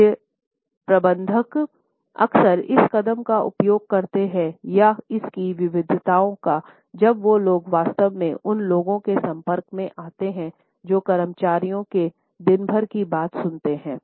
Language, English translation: Hindi, Middle managers often use this gesture or it’s variations to come across as people who are actually interested in listening to a day to day talk of several employees